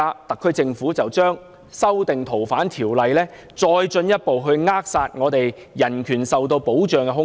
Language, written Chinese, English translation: Cantonese, 特區政府現在修訂《條例》，是再進一步扼殺我們的人權受到保障的空間。, The SAR Governments current amendment to the Ordinance will further place a stranglehold on the protection for our human rights